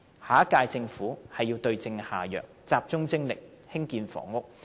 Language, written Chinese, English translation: Cantonese, 下一屆政府必須對症下藥，集中精力興建房屋。, The next Government must address the root cause and focus on housing construction